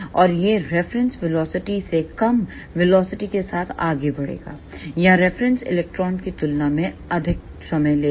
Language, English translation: Hindi, And this will move with velocity less than the reference velocity or this will take more time than the reference electron